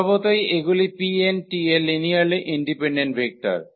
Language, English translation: Bengali, So, naturally these are linearly independent vectors of P n t